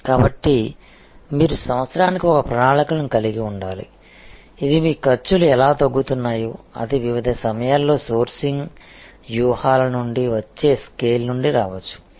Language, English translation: Telugu, So, you have to have a plan which is year upon year how your costs are going to slight down that could be coming from in the scale that could be coming from different times of sourcing strategies